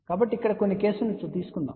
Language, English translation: Telugu, So, let just take some cases here